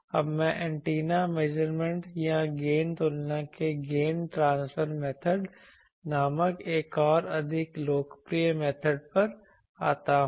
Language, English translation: Hindi, Now, I come to another more popular method is called that gain transfer method of antenna measurement or gain comparison